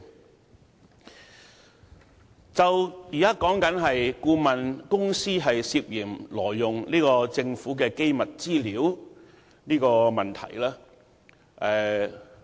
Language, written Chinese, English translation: Cantonese, 我們現在討論的問題，是顧問公司涉嫌挪用政府的機密資料。, The question now under discussion is about the suspected illegal use of confidential information of the Government